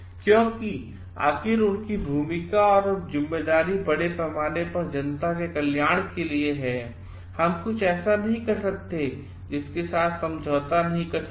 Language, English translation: Hindi, Because, ultimately what is their role and responsibility is towards the welfare of the public at large and there is what we cannot something which you cannot compromise with